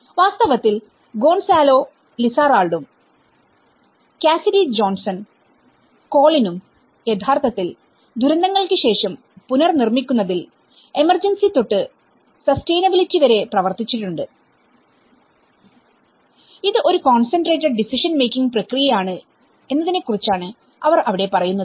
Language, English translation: Malayalam, And in fact, Gonzalo Lizarralde and Cassidy Johnson and Colin and they have actually worked on rebuilding after disasters from emergency to sustainability, where they talk about it is a concentrated decision making process